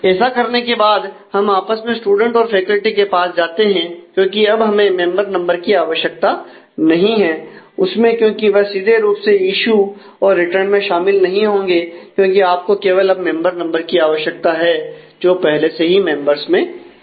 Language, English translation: Hindi, So having done that, we again go back to the student and faculty, because now we do not need member number in that anymore; because these will not directly be involved in the issue return, because all that you need is just the member number which is already there in the members